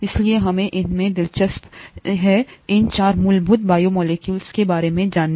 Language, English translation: Hindi, That’s why we were so interested in knowing about these 4 fundamental biomolecules